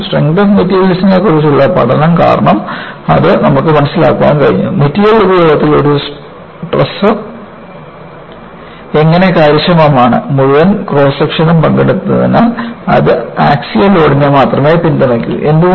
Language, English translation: Malayalam, Because of a first study in strength of materials, you have been able to understand, how a truss is efficient in material usage; because the entire cross section participates, it is supporting only axial load